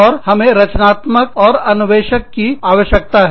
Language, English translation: Hindi, And, we also need people, who are creative and innovative